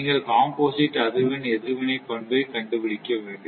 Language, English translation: Tamil, Now, next is the composite frequency response characteristic right